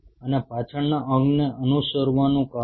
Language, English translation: Gujarati, And the reason why the follow hind limb